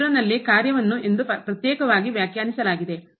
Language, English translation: Kannada, The problem is at 0 where we have to defined separately as 0